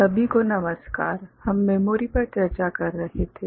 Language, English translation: Hindi, Hello everybody, we were discussing Memory